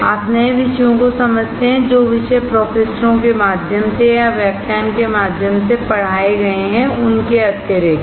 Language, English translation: Hindi, You understand new topics, the topics other than what is taught through a lecture through or from the professors